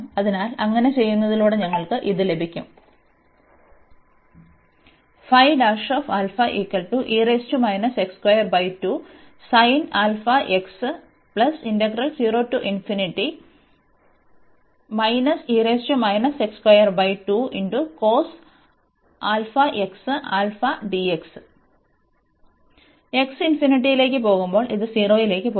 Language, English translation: Malayalam, So, we have now this here when x goes to infinity, this will go to 0